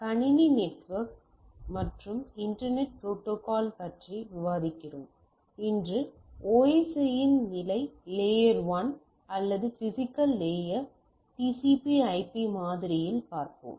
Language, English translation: Tamil, So, we are discussing on Computer Network and Internet Protocols, today we will be looking at the our level layer 1 of the OSI or in TCP/IP model that is the physical layer